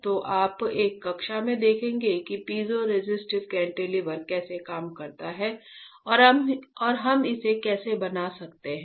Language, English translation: Hindi, So, you will see in one of the class how the piezo resistive cantilever works right and what how can we fabricate it, ok